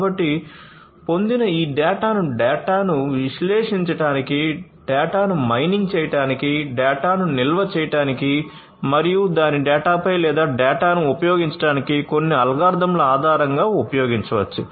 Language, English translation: Telugu, So, this data that is obtained can be used for analyzing it, analyzing the data, mining the data, storing the data and then based on certain algorithms that are run on it on the data or using the data